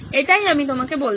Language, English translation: Bengali, That’s what I’m telling you